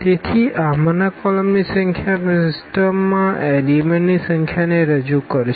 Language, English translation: Gujarati, So, the number of the columns in this a will represent the number of elements in our system